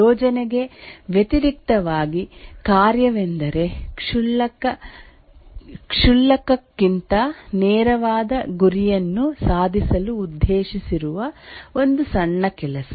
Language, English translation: Kannada, A task in contrast to a project is a small piece of work meant to accomplish a straightforward goal rather trivial